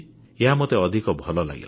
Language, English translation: Odia, This I liked the most